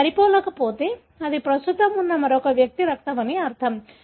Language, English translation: Telugu, If it doesn’t match that means that is the blood of another individual that is present